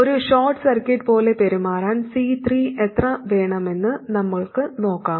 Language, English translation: Malayalam, We have to evaluate the criterion for C3 to behave like a short circuit that we will do later